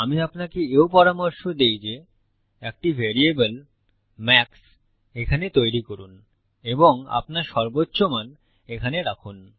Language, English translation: Bengali, What I also recommend you to do is create a variable here called max and put your maximum value here This will do exactly the same thing